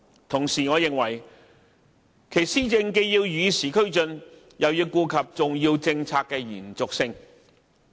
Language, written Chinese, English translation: Cantonese, 同時，我認為其施政既要與時俱進，又要顧及重要政策的延續性。, And in my opinion while governance must keep abreast of the times it is also necessary to bear in mind the need for continuity in the case of important policies